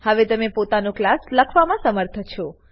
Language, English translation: Gujarati, To now be able to write your own class